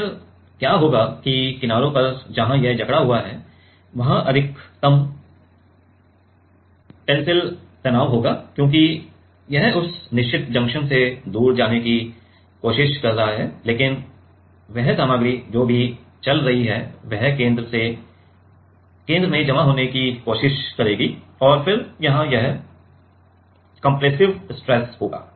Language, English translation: Hindi, Then what will happen that at the edges where it is clamped there will be maximum tensile stress right because it is trying to move away from that fixed junction, but that material whatever is moving that is trying to accumulate at the center right and then here it will be compressive stress